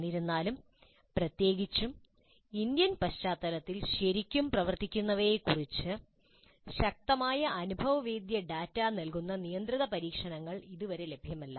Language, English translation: Malayalam, Still, controlled experiments giving us strong empirical data on what really works particularly in Indian context is not at available